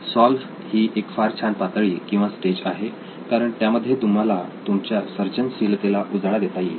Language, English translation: Marathi, Solve is a very interesting stage because this is where you unleash your creativity